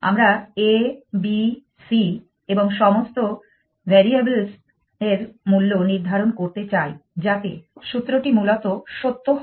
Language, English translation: Bengali, We want to find valuations for a, b, c and all the variables such that the formula evaluate is true essentially